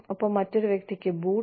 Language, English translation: Malayalam, And, the boot to another person